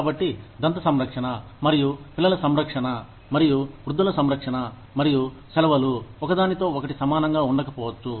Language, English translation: Telugu, So, dental care, and child care, and elderly care, and vacations, may not be at par, with each other